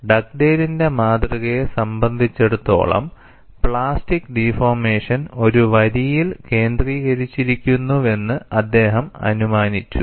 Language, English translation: Malayalam, For the Dugdale’s model, he assumed that plastic deformation concentrates in a line